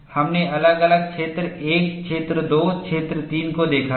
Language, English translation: Hindi, We have seen separately region 1, region 2, region 3